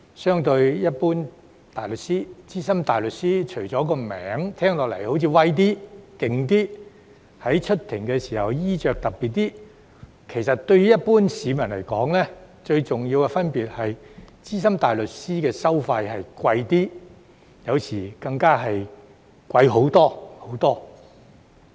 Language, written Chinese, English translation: Cantonese, 相對於一般大律師，資深大律師除了名銜聽似"威"一點、"勁"一些，以及在出庭時的衣着較特別外，其實對於一般市民來說，最重要的分別是資深大律師的收費較昂貴，有時更會昂貴很多、很多。, When compared with Junior Counsel SC carry a title that sounds more prestigious and powerful and appear at court in more distinctive attire . Apart from that to the general public the major difference is that the fees of SC are more expensive and sometimes much much more expensive